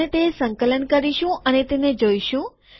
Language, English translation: Gujarati, We will compile it and we will go through that